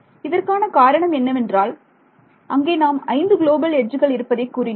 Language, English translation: Tamil, The reason I am doing this is because we said there are 5 global edges